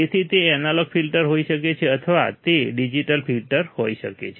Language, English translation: Gujarati, So, it can be analog filters or it can be digital filters